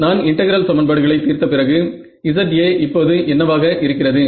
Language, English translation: Tamil, I is known after I solve the integral equations very good what is Za now